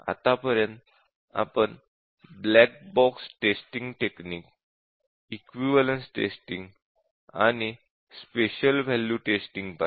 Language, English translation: Marathi, So far we looked at black box testing techniques, equivalence testing and special value testing